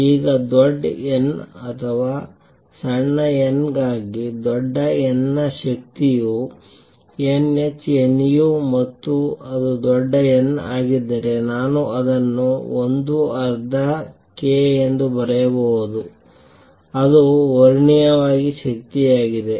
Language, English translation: Kannada, Now for large n for large n or small n the energy is n h nu and if it is large n, I can write this as 1 half k A square that is energy classically